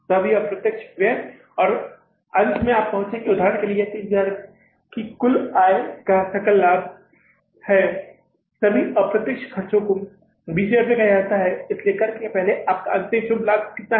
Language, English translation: Hindi, All indirect expenses and then finally you will arrive here at, say, for example, this is the total income gross profit of 30,000s, all indirect expenses are say 20,000s